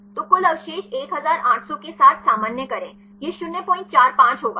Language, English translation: Hindi, So, normalize with the total residues 1800 this will be 0